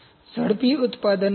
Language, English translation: Gujarati, Rapid manufacturing costs